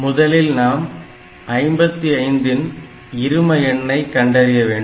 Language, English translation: Tamil, So first of all, I have to take the binary representation of 55